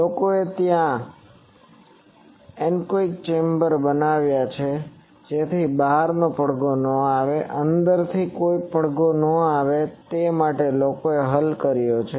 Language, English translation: Gujarati, People have solved there made anechoic chambers and so that no outside echo comes, no inside echo comes